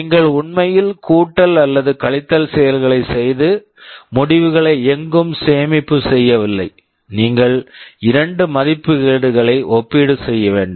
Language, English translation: Tamil, You are actually not doing addition or subtraction and storing the results somewhere, just you need to compare two values